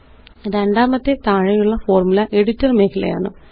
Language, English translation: Malayalam, The second is the equation or the Formula Editor area at the bottom